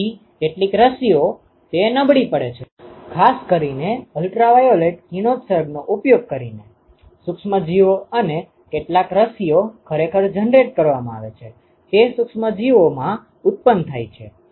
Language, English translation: Gujarati, So, some vaccines, they are attenuated, typically using ultraviolet radiation, microorganisms and some vaccines are actually generated they are generated in microorganisms